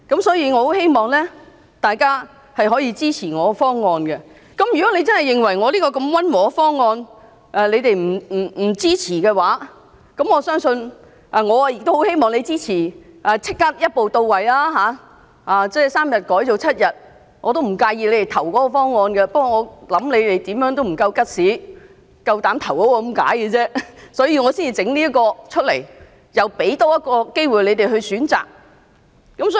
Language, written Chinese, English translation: Cantonese, 所以，我很希望大家可以支持我的修正案，而如果你們認為我這項如此溫和的修正案也無法支持，我也很希望你們會支持立即一步到位，把3天增至7天，我不介意大家投票支持該方案的，但我相信你們沒有 guts， 敢投票支持它，所以我才會提出這修正案，多給你們一個選擇的機會。, If you do not support my amendment which is very moderate indeed I hope you will support the amendment seeking to extend paternity leave from three days to seven days in one step . I do not mind if you vote in favour of that proposal . However I believe you do not have the guts to vote for it and that is why I propose this amendment to give you one more choice